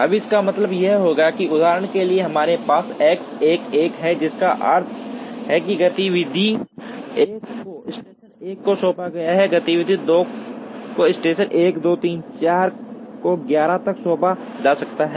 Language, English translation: Hindi, Now, this would mean that, for example we have X 1 1, which means activity 1 is assigned to station 1, activity 2 can be assigned to station 1, 2, 3, 4 up to 11